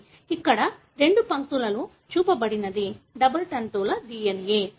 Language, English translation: Telugu, , what is shown here in the two lines are the double strand DNA